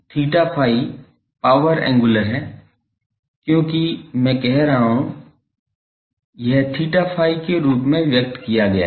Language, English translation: Hindi, So, g theta phi is the power angular because I am saying it is expressed in terms of theta phi